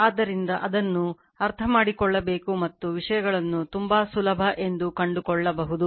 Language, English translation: Kannada, So, and we have to understand that, and we will find things are very easy